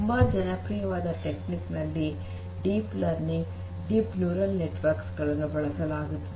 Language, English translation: Kannada, So, one of the very popular techniques in deep learning is to use deep neural network